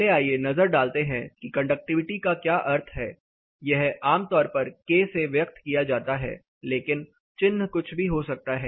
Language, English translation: Hindi, First let us take a look at what conductivity means; it can be express commonly it is express that k, but the denotion can be anything